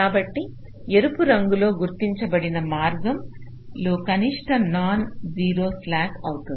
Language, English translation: Telugu, so the path marked red, that will be the minimum non zero slack